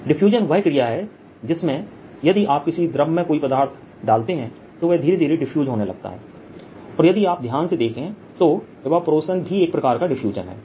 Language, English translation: Hindi, diffusion is where if you put some material in a fluid, it starts diffusing slowly, or evaporation is also kind of diffusion, if you like, loosely